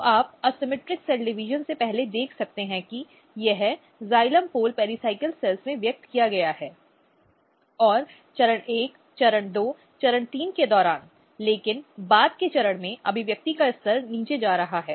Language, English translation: Hindi, So, you can see before asymmetric cell division it is expressed in the in the xylem pole pericycle cells, then during stage 1 stage 2 stage 3, but at very later stage the expression level is going down cross section also proves the same thing